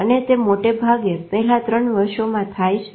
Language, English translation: Gujarati, But it is largely the first three years